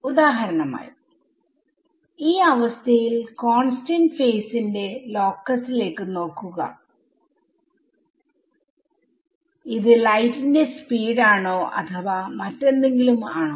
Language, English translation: Malayalam, Then we can for example, in that condition look at the locus of constant phase and see is it speed of light or is it something else ok